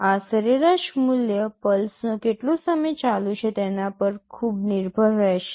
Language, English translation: Gujarati, This average value will very much depend on how much time the pulse is on